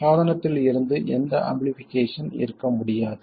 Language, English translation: Tamil, There can't possibly be any amplification from the device